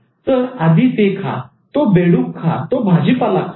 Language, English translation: Marathi, So eat that frog, eat that veggie